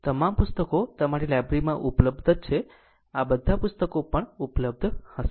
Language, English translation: Gujarati, All these books are available right in your library also all these books will be available